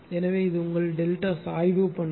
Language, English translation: Tamil, So, this is your ah delta slope characteristic